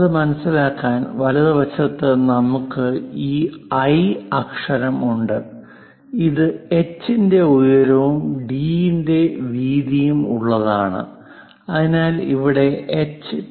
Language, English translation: Malayalam, To understand that, in the right hand side, we have this I letter, which is having a height of h and a width of d , so here h is 2